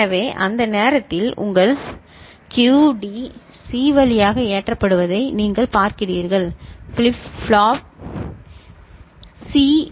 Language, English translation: Tamil, So, at that time you are having your this QD getting loaded through C, to flip flop C